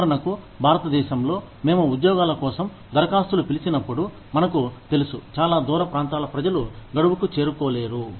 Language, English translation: Telugu, For example, in India, when we call from the applications for jobs, we know, that people from far flung areas, may not be able to make it, to the deadline